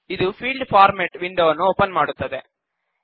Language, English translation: Kannada, This opens the Field Format window